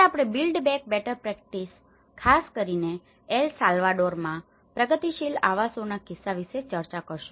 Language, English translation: Gujarati, Today, we are going to discuss about the build back better practices especially, in the case of progressive housing in El Salvador